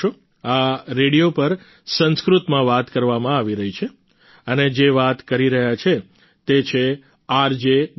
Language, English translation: Gujarati, This was Sanskrit being spoken on the radio and the one speaking was RJ Ganga